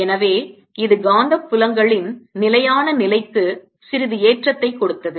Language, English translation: Tamil, so this gave a jump to the steady of magnetic fields quite a bit